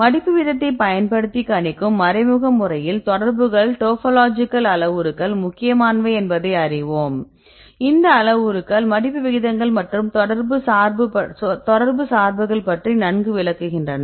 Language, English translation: Tamil, So, there is an indirect method to predict the folding rate using contacts because we know that topological parameters are important right and these parameters explain well about the folding rates and the parameters are mainly depending on contacts